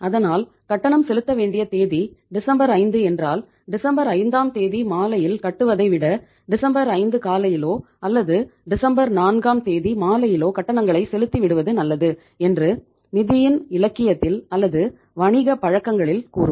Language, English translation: Tamil, So it is said in the financial literature or in the business practices that if any payment is due to be made to anybody say on 5th of December morning it is better to make the payment on or in the evening of the 4th of December rather than delaying it to the evening of the 5th of December